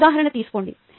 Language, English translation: Telugu, take one more example now